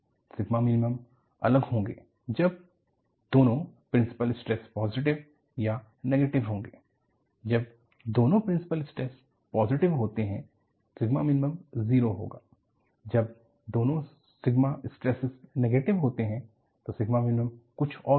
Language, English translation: Hindi, When both the principal stresses are positive, sigma minimum will be 0; when both the principal stresses are negative, then sigma minimum will be something else